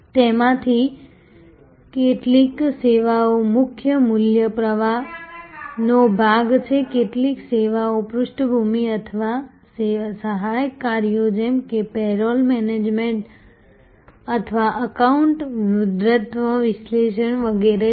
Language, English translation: Gujarati, Some of those services are part of the main value stream some of the services are sort of background or auxiliary tasks like payroll management or account ageing analysis and so on